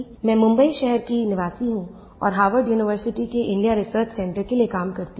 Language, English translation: Hindi, I am a resident of Mumbai and work for the India Research Centre of Harvard University